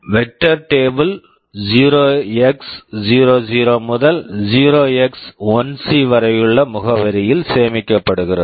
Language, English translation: Tamil, The vector table is stored from address 0x00 to 0x1c